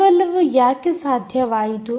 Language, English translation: Kannada, and why is all this possible